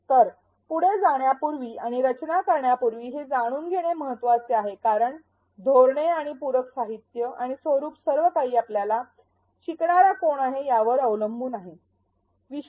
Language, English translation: Marathi, So, knowing this is important before we go ahead and design because the strategies and the supplementary materials and the formats everything will depend on who our learner is